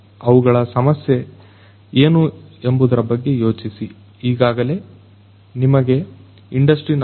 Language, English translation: Kannada, Think about what is their problem, think about what you already know about industry 4